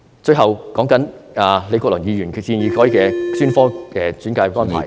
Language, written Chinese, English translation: Cantonese, 最後，對於李國麟議員建議改變現時的專科專介安排......, Finally in regard to Prof Joseph LEEs proposal to change the existing specialist referral arrangement I have grave reservations